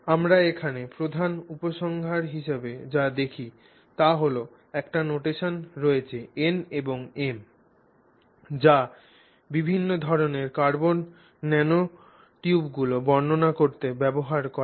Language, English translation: Bengali, So, if you look at what we see here as our major conclusions, there is a notation NNM that is used to describe different types of carbon nanotubes